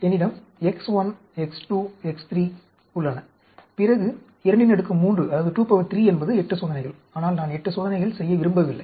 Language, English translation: Tamil, Suppose I have X 1, X 2, X 3, then 2 raise to the power 3 will be 8 experiments, but I do not want to do 8 experiments